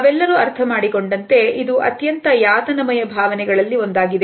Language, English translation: Kannada, And as all of us understand it is one of the most distressing emotions